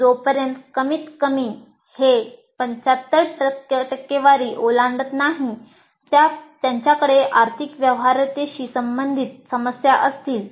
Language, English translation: Marathi, Unless at least it crosses 75,000, they will have issues related to financial viability